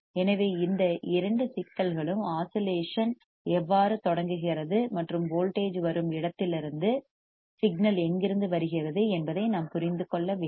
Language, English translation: Tamil, So, these two signals we must understand how the how the oscillation starts and from where the signal is from the where the voltage is coming